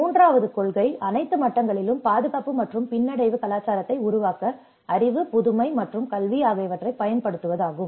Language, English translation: Tamil, The third principle is use knowledge, innovation, and education to build a culture of safety and resilience at all levels